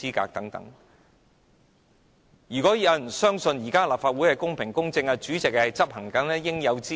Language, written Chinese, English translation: Cantonese, 我相信沒有人會愚蠢地相信現時的立法會公平公正，以及主席執行應有之義。, I think no one will be stupid enough to believe that equity and impartiality are upheld in the Legislative Council nowadays or that the President is performing his due responsibilities